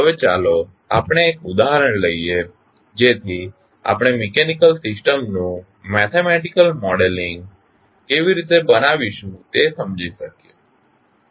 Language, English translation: Gujarati, Now, let us take one example so that we can understand how we will create the mathematical model of mechanical system